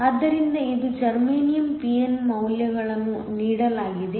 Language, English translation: Kannada, So, it is germanium p+n the values are given